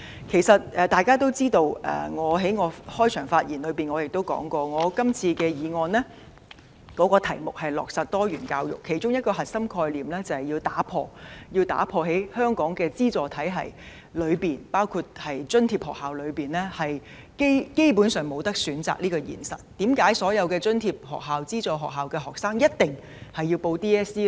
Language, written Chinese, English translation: Cantonese, 其實大家都知道，而我在開場發言時亦提到，我今次提出這項議案的課題是落實多元教育，其中一個核心概念就是要打破在香港資助體系中津貼學校基本上沒有選擇這個現實，為甚麼所有津貼學校或資助學校學生一定要報考香港中學文憑考試呢？, In fact as known to all and as I have also mentioned in my opening remark the subject of my motion is to implement diversified education and one of the core concepts is to break the reality that subsidized schools have basically no choice under the subvention system in Hong Kong . Why must students of all subsidized or aided schools take the Hong Kong Diploma of Secondary Education Examination DSE?